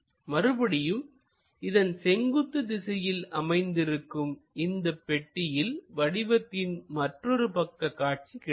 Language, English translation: Tamil, And again there is a perpendicular box which comes on the other side for your side view